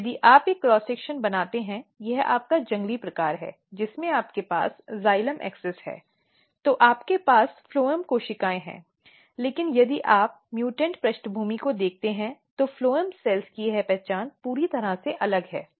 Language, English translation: Hindi, And if you make a cross section this is your wild type you have xylem axis then you have this phloem cells, but if you look the mutant background this identity of phloem cells are totally different